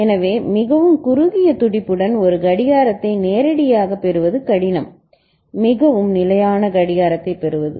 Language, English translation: Tamil, So, because directly getting a clock with a very narrow pulse is difficult, I mean, getting very stable clock